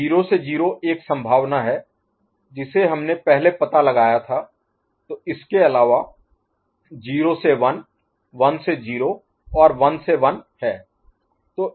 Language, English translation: Hindi, So, 0 to 0 is one possibility that we have already explored, so the other one is 0 to 1 1 to 0 and 1 to 1 right